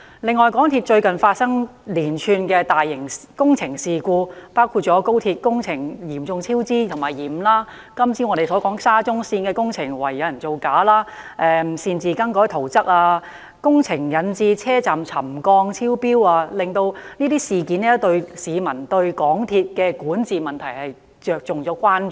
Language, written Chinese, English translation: Cantonese, 此外，港鐵最近發生連串大型工程事故，包括廣深港高速鐵路工程嚴重超支和延誤、我們早前討論的沙田至中環線工程懷疑有人造假、擅自更改圖則和工程引致車站沉降超標等，連番事故令市民對香港鐵路有限公司的管治問題產生關注。, Besides there have been a series of recent incidents involving the large - scale MTR works projects . These include the serious cost overruns and delays of the works projects of the Guangzhou - Shenzhen - Hong Kong Express Rail Link XRL the suspected falsifications in the works projects of the Shatin to Central Link SCL that we discussed earlier the subsidence of railway stations caused by unauthorized alteration of layout plans and works projects etc . The series of incidents have raised public concern over the problem of governance of the MTR Corporation Limited MTRCL